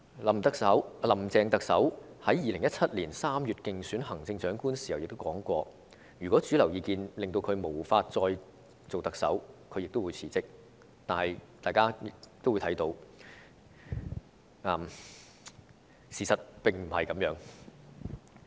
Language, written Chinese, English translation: Cantonese, "林鄭"特首在2017年3月競選行政長官時曾經指出，如果主流民意令她無法再出任特首，她會辭職，但大家都看到，事實並非如此。, Chief Executive Carrie LAM said in March 2017 in her election campaign that she would resign if the mainstream opinion of Hong Kong people render her unsuitable to serve as the Chief Executive but the fact is not the case as we can see